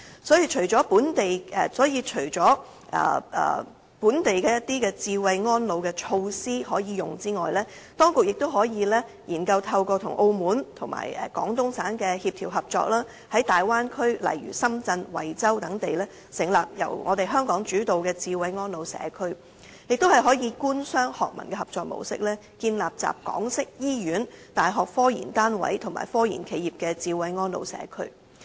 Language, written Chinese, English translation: Cantonese, 所以，除了本地的智慧安老措施可用外，當局亦可以研究透過與澳門及廣東省的協調合作，在大灣區例如深圳、惠州等地成立由香港主導的"智慧安老社區"，亦可以官、商、學、民的合作模式，建立集港式醫院、大學科研單位及科研企業的"智慧安老社區"。, In addition to adopting local smart elderly care measures the authorities can explore setting up Hong Kong - led smart elderly care communities in the Bay Area such as Shenzhen and Huizhou through coordination and cooperation with Macao and Guangdong Province . It can also set up smart elderly care communities with Hong Kong - style hospitals university research units and research institutes through cooperation among the Government the business sector academia and NGOs